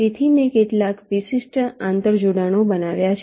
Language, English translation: Gujarati, so i have shown some typical interconnections